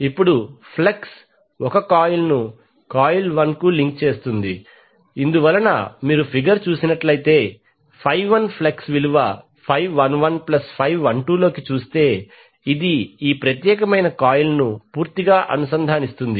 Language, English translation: Telugu, Now since flux phi 1 links coil 1 because the if you see the figure flux of phi 1 that is phi 11 plus phi into is completely linking this particular coil one